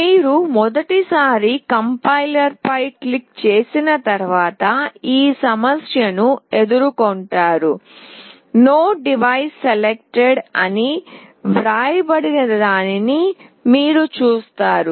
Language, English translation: Telugu, Once you click on Complier for the first time, those who are doing will come across this problem where you will see that it is written No Device Selected